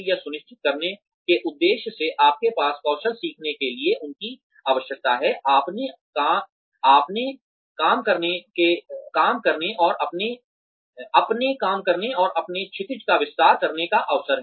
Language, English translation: Hindi, With the aim of ensuring, they have the opportunity, to learn the skills, they need, to do their jobs, and expand their horizons